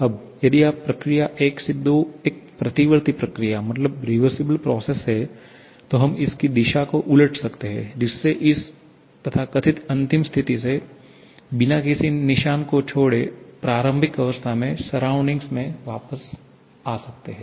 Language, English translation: Hindi, Now if this process 1 to 2 is a reversible one, then we can reverse its direction thereby moving from this so called final state back to the initial state without leaving any mark on the surrounding